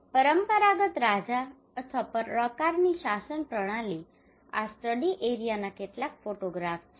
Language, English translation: Gujarati, Traditional king or kind of governance system these are some of the photographs of the study area